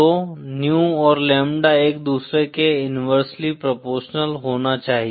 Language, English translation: Hindi, So new and lambda should be inversely proportional to each other